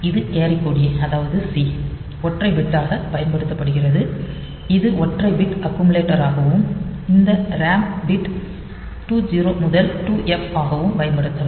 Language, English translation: Tamil, So, this carry flag a carry that is c that is used as single bit it can be used as a single bit accumulator and this ram bit 2 0 to 2 F so, they are all bit addressable